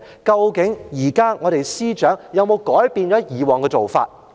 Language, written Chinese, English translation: Cantonese, 究竟現任司長有否改變以往的做法？, Has the incumbent Secretary changed the past practice?